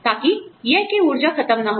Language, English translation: Hindi, So, that the power is not out